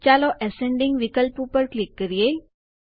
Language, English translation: Gujarati, Let us click on the Ascending option